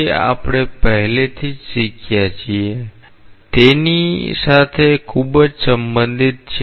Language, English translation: Gujarati, It is very much related to what we have already learnt